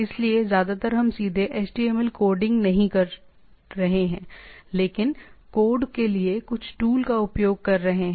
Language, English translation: Hindi, So, mostly we are not doing directly HTML coding, but using some tools to code that